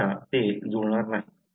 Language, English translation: Marathi, Otherwise you are not going to match